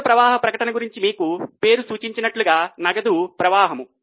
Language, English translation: Telugu, Cash flow statement as the name suggests talks about the flows of cash